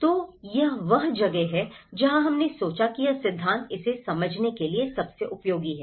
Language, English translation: Hindi, So, that is where we thought this theory is most useful to understand this